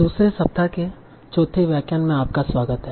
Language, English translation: Hindi, So, welcome to the fourth lecture of second week